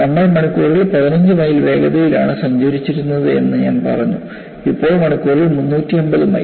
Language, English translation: Malayalam, I said that we were traveling at 15 miles per hour, now 350 miles per hour